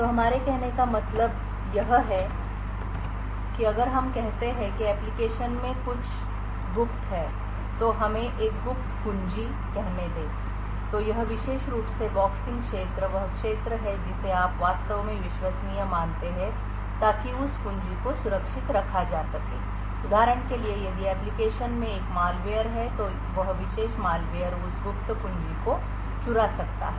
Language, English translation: Hindi, So what we mean by this is that if let us say the application has something secret let us say a secret key then this particular boxed area are is the region which you actually assumed to be trusted in order to keep that key secure, for instance if there is a malware in the application then that particular malware could steal that secret key